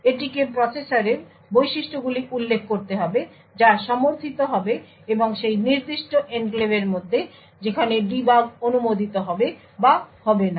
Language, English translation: Bengali, It needs to specify the processor features that is to be supported and also where debug is allowed or not within that particular enclave